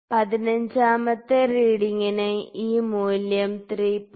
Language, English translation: Malayalam, So, for the 15th reading again this value is 3